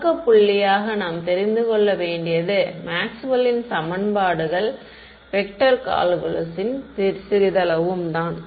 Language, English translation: Tamil, Starting point all you need to know is Maxwell’s equations little bit of vector calculus